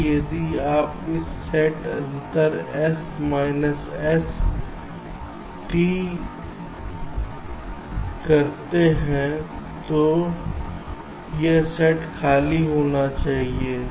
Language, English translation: Hindi, so if you do a set difference, s minus st, this set should be empty